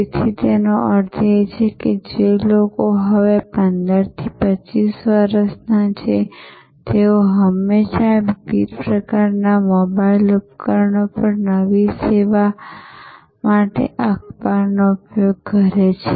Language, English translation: Gujarati, So, that means, people who are now 15 to 25 year old, they consume newspaper for new service on various kinds of mobile devices connected often all the time